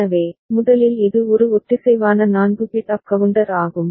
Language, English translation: Tamil, So, first of all it is a synchronous 4 bit up down counter